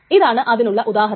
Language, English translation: Malayalam, And here is an example for this